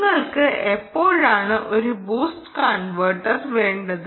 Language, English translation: Malayalam, why do you need the boost converter